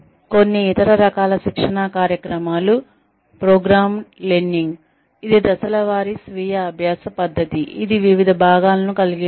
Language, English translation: Telugu, Some other types of training programs are, programmed learning, which is step by step, self learning method, that consists of the various parts